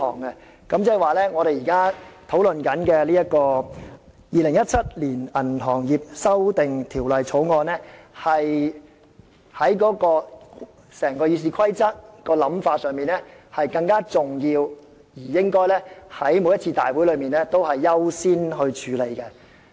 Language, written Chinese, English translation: Cantonese, 換言之，我們現在討論的《2017年銀行業條例草案》，按《議事規則》的排序是較重要的，在立法會會議中應優先處理。, In other words the Banking Amendment Bill 2017 the Bill now under discussion is more important as prescribed by the order of business in RoP and should be dealt with on a priority basis at a Council meeting